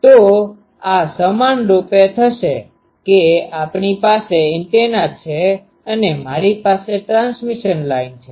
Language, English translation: Gujarati, So, this equivalently, will say that we have an antenna and I have a transmission line